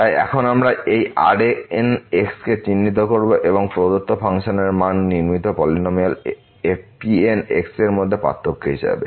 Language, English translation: Bengali, So now, we will denote this as the difference between the values of the given function and the constructed polynomial